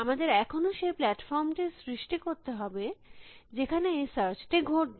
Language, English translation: Bengali, We still have to create the platform on which this search will happen